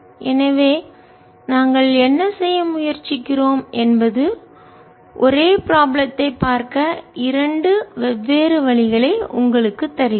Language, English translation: Tamil, so what we try to do is give you two different ways of looking at the same problem